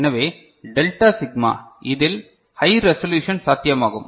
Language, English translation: Tamil, So, delta sigma it is high resolution is possible